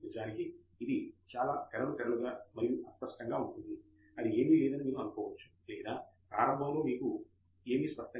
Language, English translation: Telugu, In fact, it is so foggy and hazy that you may think that is nothing or nothing is clear to you in the beginning